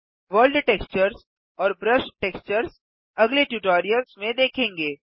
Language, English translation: Hindi, World textures and brush textures will be covered in later tutorials